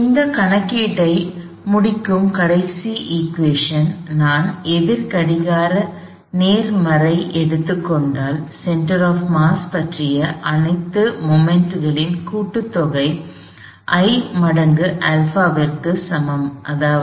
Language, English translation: Tamil, The last equation, let we complete this calculation comes from the fact, that if I take counter clockwise positive, sum of all moments about the center of mass equals I times alpha